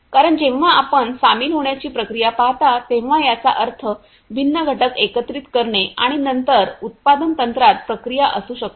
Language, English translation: Marathi, Because when you see the joining process, it means the assembly of the different components and which might be a process to the other you know the manufacturing technique